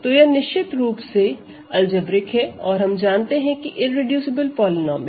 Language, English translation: Hindi, So, how do we find whether it is algebraic or not and if so, how do you find its irreducible polynomial